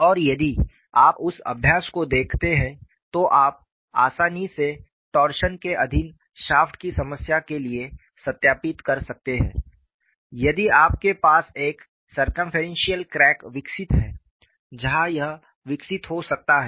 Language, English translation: Hindi, And if you look at that exercise, you can easily verify for the problem of a shaft subjected to torsion, if you have a circumferential crack developed, where it could develop